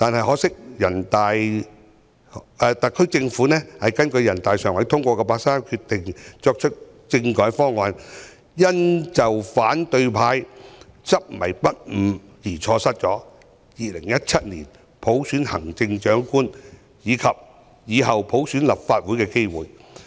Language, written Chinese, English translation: Cantonese, 可惜特區政府根據人大常委會八三一決定提出的政改方案，因反對派的執迷不悟而被否決，令我們錯失2017年普選行政長官，以及以後普選立法會的機會。, However owing to the obstinate objection of the opposition camp the constitutional reform package formulated by the SAR Government according to the 31 August Decision was negatived thereby depriving us of the opportunity to select the Chief Executive by universal suffrage in 2017 and subsequently the opportunity of returning all Legislative Council Members by universal suffrage